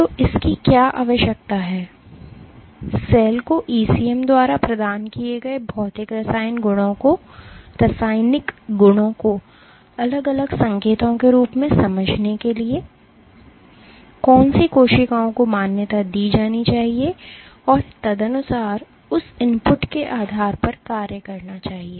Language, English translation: Hindi, So, what this requires is for the cell to sense the physical chemical attributes provided by the ECM as distinct cues, which cells must recognized and accordingly function based on that input